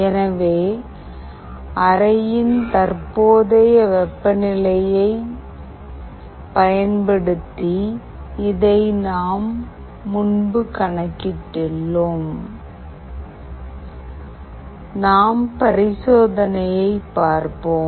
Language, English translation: Tamil, So, we have earlier calculated this using the current temperature of the room that we were getting at that particular time